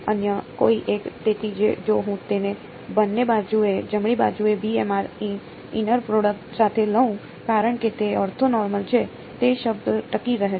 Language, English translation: Gujarati, Some other one right; so, if I take it with b m r inner product on both sides right, since they are orthonormal which is the term that survives